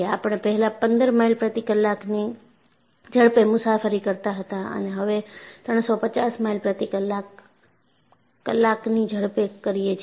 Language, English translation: Gujarati, I said that we were traveling at 15 miles per hour, now 350 miles per hour